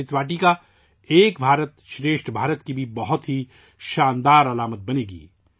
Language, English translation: Urdu, This 'Amrit Vatika' will also become a grand symbol of 'Ek Bharat Shresth Bharat'